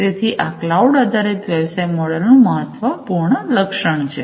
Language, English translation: Gujarati, So, this is an important feature of the cloud based business model